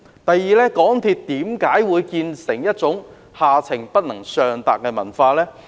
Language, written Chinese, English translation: Cantonese, 第二，港鐵公司為何會有下情不能上達的文化？, This is my first point . Second why is there the culture which discourages upward communication in MTRCL?